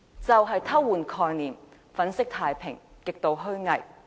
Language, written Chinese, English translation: Cantonese, 他偷換概念，粉飾太平，極度虛偽。, He mixed up different concepts and painted a rosy picture . What a hypocrite!